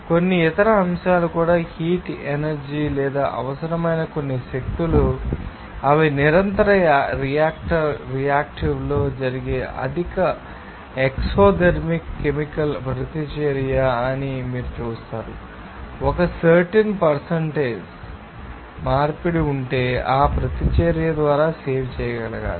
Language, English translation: Telugu, Also you will see that some other aspects also the heat energy or some energies required they are supposedly highly exothermic chemical reaction that is takes place in a continuous reactive now, if there is a certain percentage of conversion is to be saved by that reaction